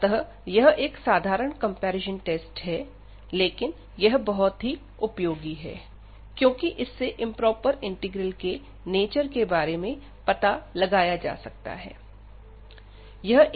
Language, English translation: Hindi, So, it is a simple comparison test, but very useful for deciding the behavior of such improper integrals